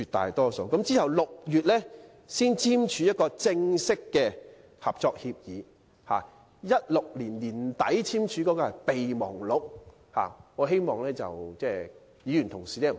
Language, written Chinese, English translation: Cantonese, 其後，雙方在6月才簽署正式的合作協議，而在2016年年底所簽訂的是備忘錄，我希望議員同事不要弄錯。, The two sides signed a formal Collaboration Agreement in June and the document signed in late 2016 was actually the Memorandum of Understanding on Cooperation . I hope Members will not mix things up